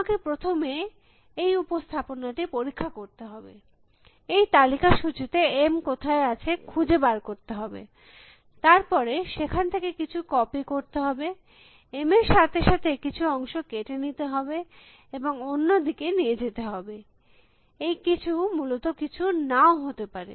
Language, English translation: Bengali, I will first need to inspect this representation, this list of list find out where M is and then copy something from there, out cuts something from there other along with M and take it to the other side, something could be nothing also essentially